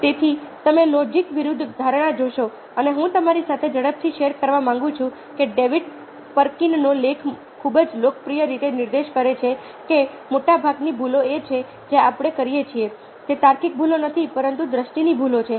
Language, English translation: Gujarati, so you see that, ah, perception versus logic, ok, and ah, what you i would like to quickly share with you is that, ah, david perkins article very popularly points out that most of the mistakes are that we make are not logical mistakes, but mistakes are perception